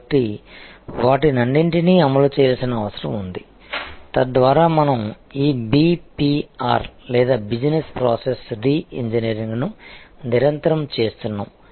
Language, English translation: Telugu, So, all those need to be deployed, so that we are constantly doing this BPR or Business Process Reengineering